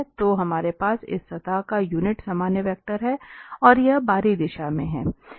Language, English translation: Hindi, So, we have the unit normal vector on this surface and this is in the outward direction